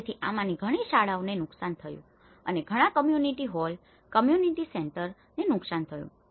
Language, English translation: Gujarati, So, many of these schools were damaged and many of the community halls, community centers have been damaged